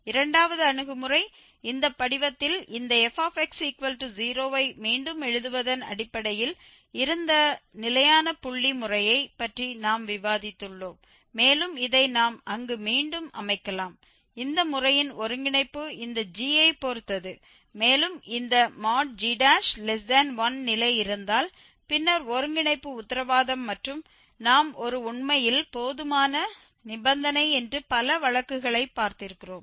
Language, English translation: Tamil, The second approach we have discuss the fixed point method where it was based on rewriting this fx equal to 0 in this form x is equal to gx and having this we can set up the iterations there and the convergence of this method was dependant on this g and if we have this condition that g prime is strictly less than 1 then the convergence is guaranteed and as a we have seen also several cases that it is actually sufficient condition